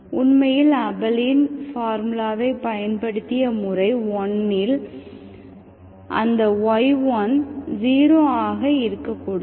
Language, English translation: Tamil, Actually in the method 1 which used Abel’s formula, in that y1 should not be 0